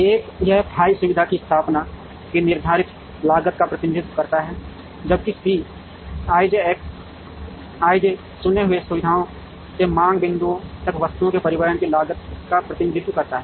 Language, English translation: Hindi, One is this f i represents the fixed cost of setting of the facility, whereas C i j X i j represents the cost of transporting items from the chosen facilities to the demand points